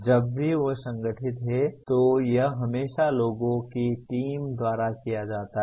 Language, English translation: Hindi, Whenever they are organized it is always by a team of people